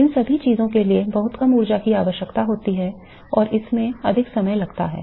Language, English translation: Hindi, All of these things require a much lower energy take a much longer amount of time